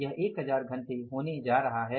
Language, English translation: Hindi, They are going to be 1,000 hours